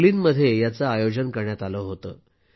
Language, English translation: Marathi, It was organized in Berlin